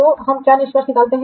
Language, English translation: Hindi, So what is the conclusion we can draw